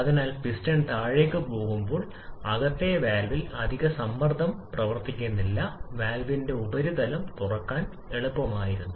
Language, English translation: Malayalam, So, as the piston is going down, there is no additional pressure acting on the valve on the inner surface of the valve was easier to open